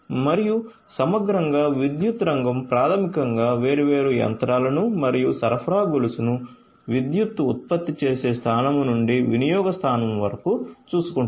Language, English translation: Telugu, And holistically the power sector you know which basically takes care of different different machinery and the supply chain overall from the generating point of the power to the consumption point